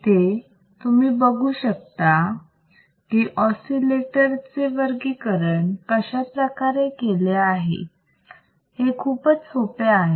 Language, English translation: Marathi, Now, in this module, let us see how we can classify the oscillators; how we can classify these oscillators